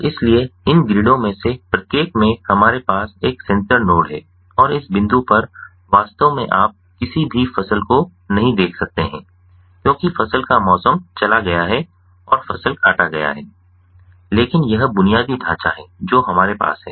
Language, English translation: Hindi, so in each of these grids what we have is a sensor node and at this point actually you cannot see any crops because the crop, the season has gone and the crops have been harvested, but this is the infrastructure that we have